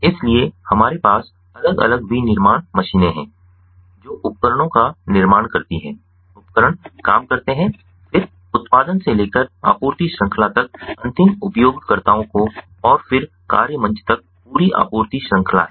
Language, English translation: Hindi, so we have different manufacturing machines, manufacturing devices, equipments, work force, then the entire supply chain: manufacturing supply chain from production to the end users, the entire supply chain and then the work platform